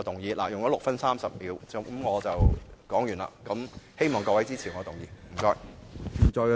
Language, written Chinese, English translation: Cantonese, 我的發言用了6分30秒，現在發言完畢，希望大家支持我的議案，謝謝。, I have spoken for 6 minutes and 30 seconds and I will now end my speech . Please support my motion . Thank you